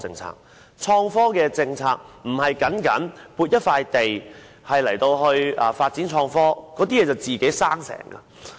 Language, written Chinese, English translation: Cantonese, 所謂的創科政策，並非僅是撥出一塊地作發展創科之用那麼簡單。, By this innovation and technology policy it should not be as simple as allocating a piece of land for the development of innovation and technology